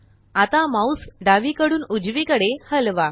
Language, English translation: Marathi, Now move the mouse left to right